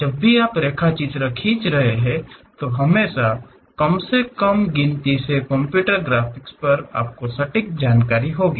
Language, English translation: Hindi, Whenever you are drawing sketches there always be least count whereas, at computer graphics you will have precise information